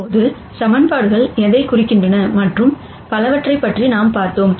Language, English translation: Tamil, Now, that we have talked about what equations represent and so on